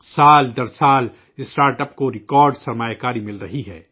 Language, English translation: Urdu, Startups are getting record investment year after year